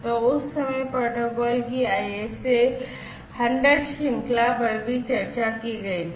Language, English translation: Hindi, So, at that time the ISA 100 series of protocols was discussed